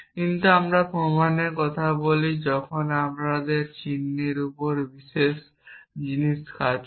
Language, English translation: Bengali, But when we talk about proofs we have different things operating upon this symbol